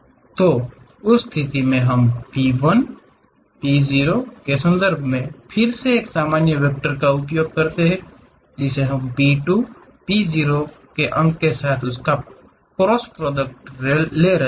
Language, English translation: Hindi, So, in that case we again use normal vector in terms of P 1, P 0; taking a cross product with P 2, P 0 points